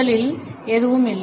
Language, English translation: Tamil, First, none at all